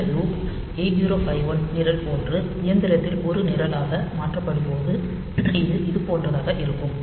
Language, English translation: Tamil, So, this loop when it is converted into a program in machine like 8051 program, so it will look something like this